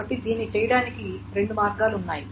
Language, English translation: Telugu, So there are two two ways of doing this